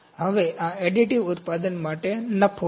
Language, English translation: Gujarati, This is additive manufacturing